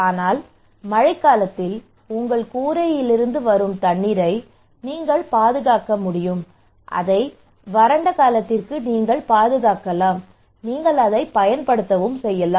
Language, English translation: Tamil, But you can just preserve the water from your rooftop during the rainy season, and you can preserve it for dry season, and you can use it okay